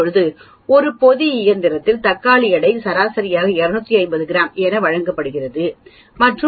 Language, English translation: Tamil, Now, tomatoes weight in a packing machine the mean is given as 250 grams and sigma is given as 0